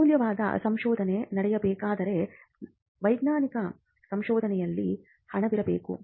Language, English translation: Kannada, Now, for valuable research to happen, there has to be funding in scientific research